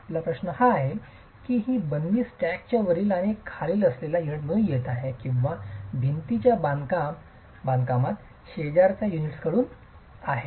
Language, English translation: Marathi, Your question is whether this confinement is coming from the unit above and below in a stack or from the neighboring units in a wall construction